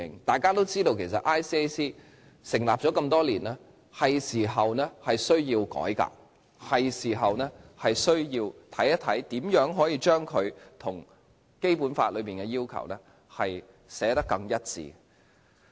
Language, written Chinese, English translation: Cantonese, 眾所周知，廉政公署成立多年，是時候需要改革，是時候需要研究如何將它與《基本法》的要求寫得更一致。, It is widely known that as ICAC has been established for many years it is time to carry out a reform and examine ways to make the ordinance more consistent with the requirements of the Basic Law